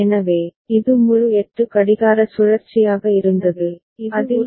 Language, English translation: Tamil, So, this is was full 8 clock cycle within which this is getting read